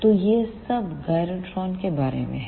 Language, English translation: Hindi, So, this is all about the gyrotron